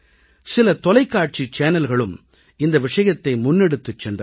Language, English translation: Tamil, Some TV channels also took this idea forward